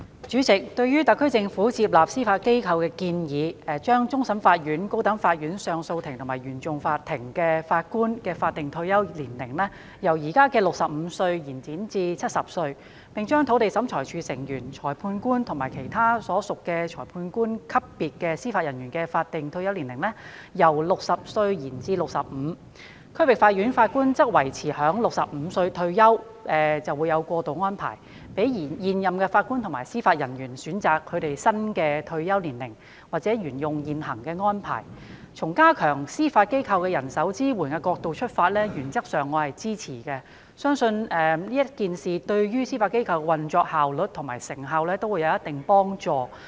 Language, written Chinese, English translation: Cantonese, 主席，對於特區政府接納司法機構的建議，包括將終審法院、高等法院上訴法庭及原訟法庭法官的法定退休年齡，由現時的65歲延展至70歲；將土地審裁處成員、裁判官及其他屬裁判官級別的司法人員的法定退休年齡，由60歲延展至65歲；將區域法院法官的退休年齡維持在65歲，但設有過渡安排；以及讓現任法官及司法人員選擇是否轉至新退休安排，或者沿用現行安排，從加強司法機構的人手支援的角度而言，我原則上是支持的，並且相信有關建議會對司法機構的運作效率和成效有一定幫助。, President the SAR Government has accepted the recommendations made by the Judiciary which include extending the statutory retirement ages for Judges of the Court of Final Appeal CFA as well as the Court of Appeal and the Court of First Instance CFI of the High Court from 65 at present to 70; extending the statutory retirement ages for Members of the Lands Tribunal Magistrates and other Judicial Officers at the magistrate level from 60 to 65; maintaining the retirement age of District Judges at 65 while providing a transitional arrangement; and allowing serving Judges and Judicial Officers to opt for the new retirement arrangements or follow the existing arrangements . From the perspective of strengthening the manpower support for the Judiciary I support these recommendations in principle and believe these recommendations will help enhance to a certain extent the operational efficiency and effectiveness of the Judiciary